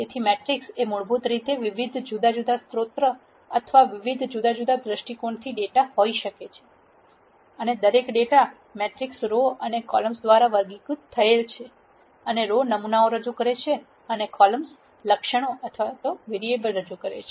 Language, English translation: Gujarati, So, the matrix basically could have data from various different sources or various different viewpoints and each data matrix is characterized by rows and columns and the rows represent samples and the columns represents attributes or variables